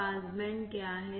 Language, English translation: Hindi, What is pass band